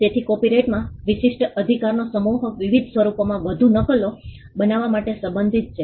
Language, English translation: Gujarati, So, the set of exclusive right in copyright pertain to making more copies in different forms